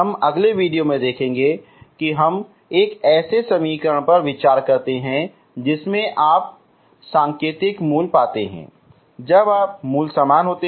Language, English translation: Hindi, That we will see in the next video that we consider an equation whose when you find the indicial roots, roots are same